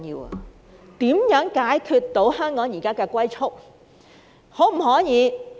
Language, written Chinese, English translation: Cantonese, 政府如何解決香港現時的"龜速"發展？, How can the Government tackle the problem of Hong Kongs current development at a snails pace?